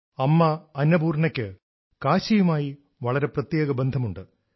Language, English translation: Malayalam, Mata Annapoorna has a very special relationship with Kashi